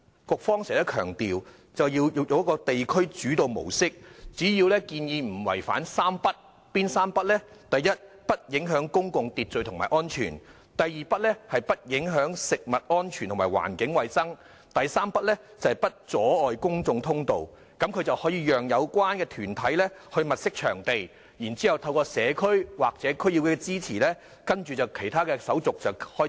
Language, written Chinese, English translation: Cantonese, 局方經常強調要用地區主導模式，只要墟市建議不違反"三不"：不影響公共秩序和安全；不影響食物安全和環境衞生；不阻礙公眾通道，便會讓有關團體物色場地，然後透過社區或區議會的支持，開展其他手續。, It is because the Bureau has often emphasized a district - led approach . As long as the bazaar proposal does not affect public order and security does not affect food safety and environmental hygiene and does not obstruct public passage the relevant organizations can identify venues for holding bazaars and complete other formalities with the support of the community or the District Council DC